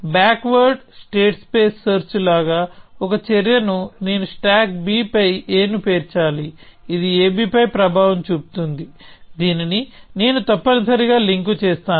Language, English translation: Telugu, So, a little bit like backward state space search; some action I must have stack a on b which will have an effect on a b which I will link to this essentially